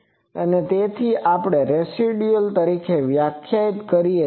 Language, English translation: Gujarati, And so we define as a residual